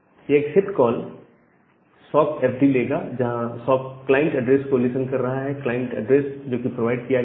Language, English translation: Hindi, So, this accept call will take the sock fd where the socket is listening the client address that will be provided